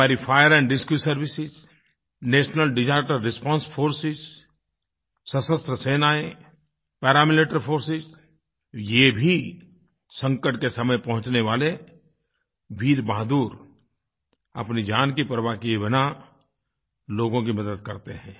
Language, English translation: Hindi, Our Fire & Rescue services, National Disaster Response Forces Armed Forces, Paramilitary Forces… these brave hearts go beyond the call of duty to help people in distress, often risking their own lives